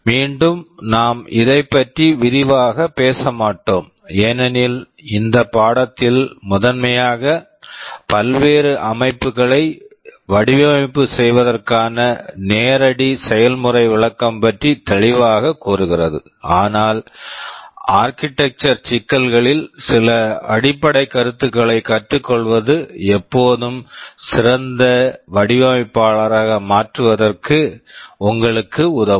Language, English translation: Tamil, Again we shall not be going into very much detail of this because this course is primarily meant for a hands on demonstration for designing various systems, but learning some basic concepts on the architectural issues will always help you in becoming a better designer